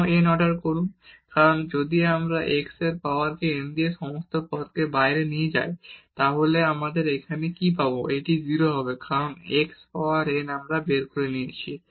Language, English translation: Bengali, Why order n, because if we take this x power n from all these terms outside then what will we will get here this will be a 0 because x power n we have taken out